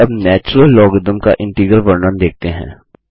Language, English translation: Hindi, Let us now write the integral representation of the natural logarithm